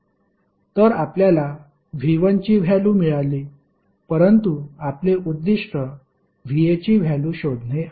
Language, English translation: Marathi, So, you got the value of V 1 but your objective is to find the value of V A